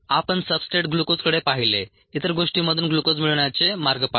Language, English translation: Marathi, we looked at a substrate glucose, way to get glucose from other things and so on